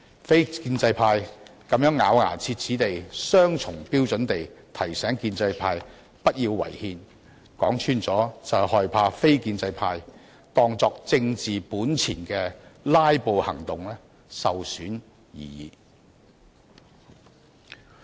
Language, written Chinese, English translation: Cantonese, 非建制派這樣咬牙切齒、雙重標準地提醒建制派不要違憲，說穿了是害怕非建制派當作為政治本錢的"拉布"行動受損而已。, Non - establishment Members gnashed their teeth and applied double standards in reminding the pro - establishment camp not to violate the constitution . To put it bluntly they did so just because they feared that their filibustering action which they regard as their political capital would be harmed